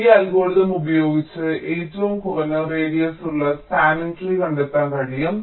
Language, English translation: Malayalam, this algorithm can be used to find the minimum radius spanning tree